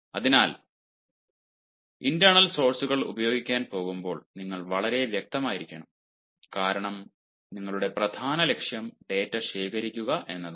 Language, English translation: Malayalam, so when you are going to make use of ah internal sources, you need to be very specific once again, because your main aim is to collect data